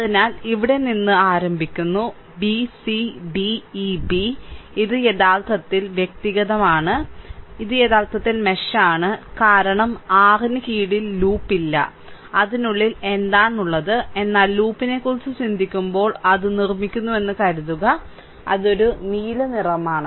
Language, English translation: Malayalam, So, starting from here b c d e b, right, this is actually individual, this is actually mesh, this is a mesh, this is mesh because there is no no loop under your; what you call within that, but when you think about loop, then suppose I have making it, just it is a blue color